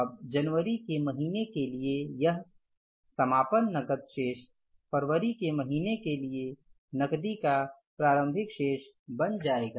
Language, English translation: Hindi, Now this closing cash balance for the month of January will become the opening balance of the cash for the month of February